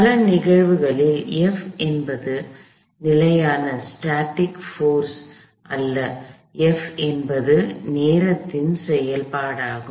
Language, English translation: Tamil, In many instances, F is not a constant force, F itself is a function of time